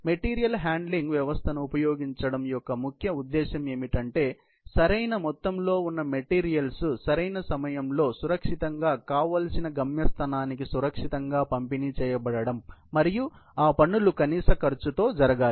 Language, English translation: Telugu, The primary objective of using a material handling system is to ensure that the material in the right amount is safely delivered to the desired destination at the right time, and that with a minimum cost